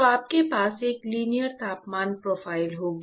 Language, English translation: Hindi, So, you will have a linear temperature profile